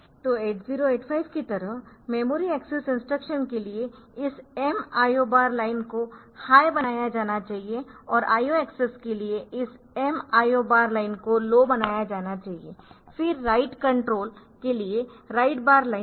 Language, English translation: Hindi, So, for memory access instruction is m IO bar line should be made high and for and for instruction and for IO access this m IO bar line should be made low, then there is a write bar line for write control